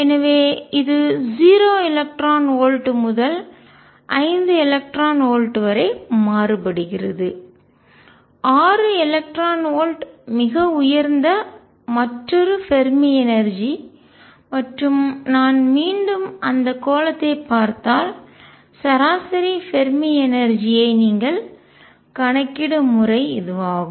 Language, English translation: Tamil, And so, it varies from 0 electron volts to 5 electron volts 6 electron volts the highest another Fermi energy and the way you calculate the average Fermi energy is if I again look at that sphere